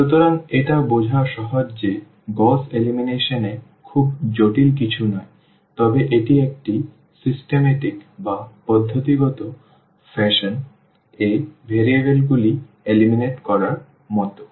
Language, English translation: Bengali, So, it is easy to understand that this Gauss elimination is nothing very very complicated, but it is like eliminating the variables in a systematic fashion